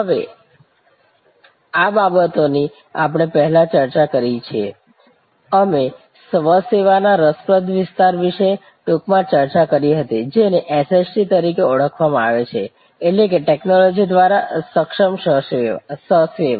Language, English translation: Gujarati, Now, these things we have discussed before, we did briefly discuss about this interesting area of self service, also known as SST that means Self Service enabled by Technology